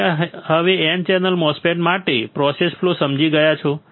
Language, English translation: Gujarati, You have now understood the process flow for N channel MOSFET